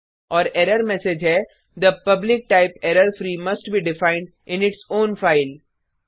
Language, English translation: Hindi, And error message reads The public type errorfree must be defined in its own file